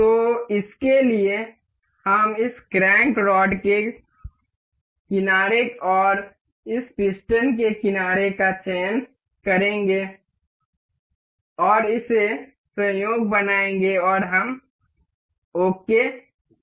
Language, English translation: Hindi, So, for this we will select the edge of this crank rod and the edge of this piston inner side, and make it coincide, and we will click ok